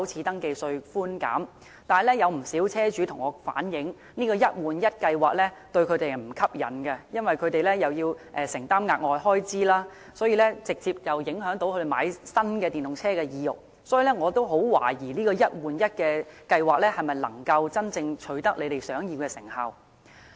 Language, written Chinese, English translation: Cantonese, 但是，有不少車主向我反映，這個"一換一"計劃並不吸引，因為他們要承擔額外開支，所以直接影響他們購買新電動車的意欲，我亦十分懷疑"一換一"計劃能否真正取得政府想要的成效。, But many car owners have told me that they do not find the scheme appealing because they must bear additional expenses and this directly affects their desire to buy new EVs . I also doubt whether the one - for - one replacement scheme can really achieve the Governments desired result